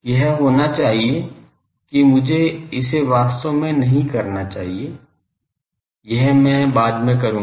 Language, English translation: Hindi, It should be that I should not call it a actually, this is I will later and